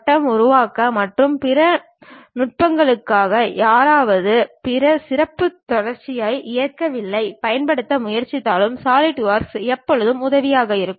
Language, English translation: Tamil, Even if someone is trying to use other specialized continuum mechanics for the grid generation and other techniques, Solidworks always be helpful